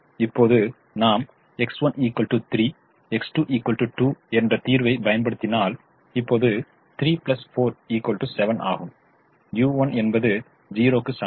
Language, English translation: Tamil, now we realize that if i apply the solution, x one equal to three, x two equal to two, now three plus four is equal to seven, u one is equal to zero